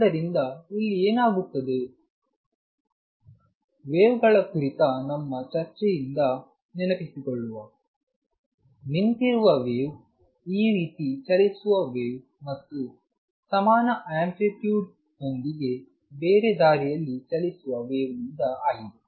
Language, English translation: Kannada, So, what happens here; is recall from our discussion on waves that a standing wave is a wave travelling this way and a wave travelling the other way with equal amplitude